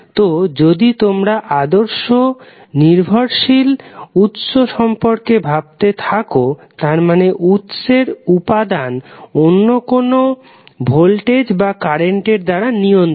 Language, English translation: Bengali, So, ideal dependent source if you are talking about it means that the source quantity is controlled by another voltage or current